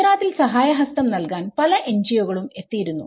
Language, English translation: Malayalam, It was many NGOs which came to Gujarat to give their helping hand